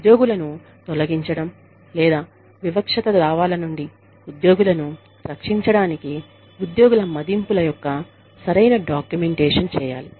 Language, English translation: Telugu, Proper documentation of employee appraisals, to protect employees against, wrongful discharge, or discrimination suits